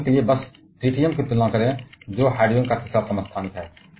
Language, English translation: Hindi, For example, just compare tritium; which is the third isotope of hydrogen